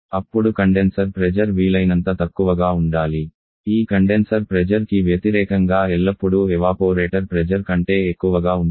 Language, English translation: Telugu, Then the condenser pressure should be as low as possible and just opposite to this condenser pressure is always higher than evaporator pressure